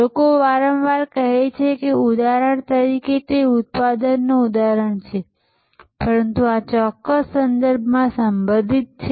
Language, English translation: Gujarati, People often say that for example, it is a product example, but relevant in this particular context